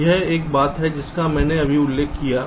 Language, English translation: Hindi, this is one thing i just now mentioned